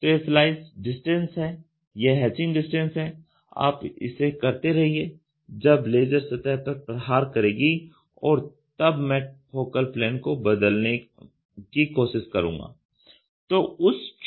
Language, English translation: Hindi, So, this is what is the slice distance, hatch distance you keep doing it and when the laser tries to hit at the surface, I try to play with changing the focal plane